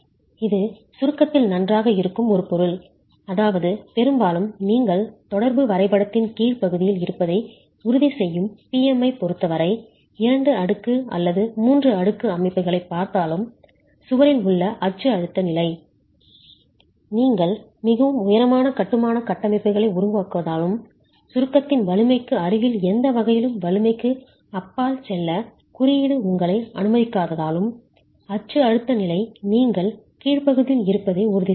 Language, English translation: Tamil, It is a material which is good in compression which means most often even if you are looking at two storied, three storied structures, the axial stress level in the wall will ensure that you are in the lower portion of the interaction diagram as far as PM is concerned because you cannot make very heavy, I mean you don't make very tall masonry structures, the level and because the code also does not allow you to go too far beyond the strength in any way close to the strength in compression, the axial stress level will ensure that you are in the lower portion of the axial force moment interaction diagram